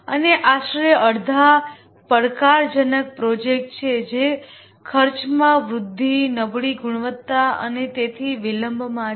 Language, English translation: Gujarati, And roughly about half are challenged projects which are delayed cost escalation, poor quality and so on